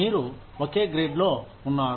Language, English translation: Telugu, You are in the same grade